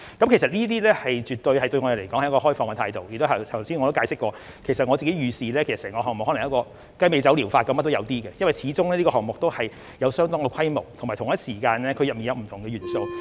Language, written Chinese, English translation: Cantonese, 其實我們對此絕對是抱持開放的態度，而且我剛才也解釋過，我自己預視整個項目可能跟雞尾酒療法一樣，甚麼也有一些，因為這個項目始終有一定規模，而且同一時間，當中有不同的元素。, In fact we are absolutely keeping an open mind and as I explained earlier I personally reckon that the entire project may be taken forward in a way similar to the cocktail therapy in that a mixture of different approaches will be adopted because this project is of a certain scale and comprised of different elements at the same time